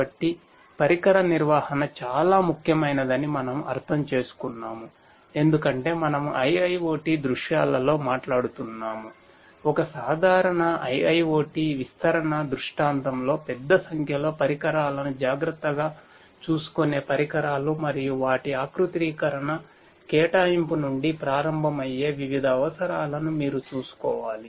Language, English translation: Telugu, So, we have understood that device management is very important because we are talking about in IIoT scenarios large number of devices taking care of large number of devices in a typical IIoT deployment scenario and you have to take care of different different requirements starting from their configuration provisioning faults security and so on and so forth